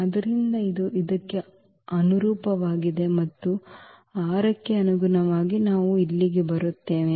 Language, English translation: Kannada, So, that is corresponding to this one, and corresponding to 6 we will get here 4 1